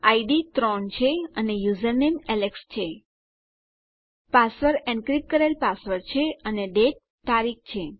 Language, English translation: Gujarati, My id is 3 my username is alex My password is my encrypted password and my date is date